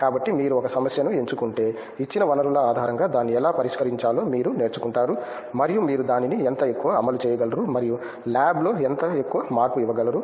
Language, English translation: Telugu, So, if you choose a problem you learn how to solve it based on the given resources and how much more you can implement it and how much more you can give a change to the lab